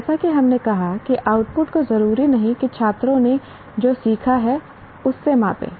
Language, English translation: Hindi, As we said, these outputs did not necessarily measure what the students learned